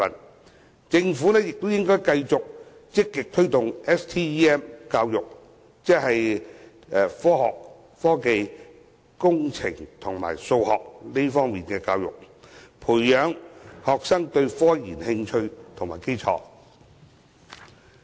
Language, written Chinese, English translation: Cantonese, 此外，政府亦應繼續積極推動 STEM 教育，即科學、技術、工程及數學教育，培養學生對科研的興趣和基礎。, Moreover the Government should also continue to proactively promote STEM education so as to build up students interest and foundation in scientific research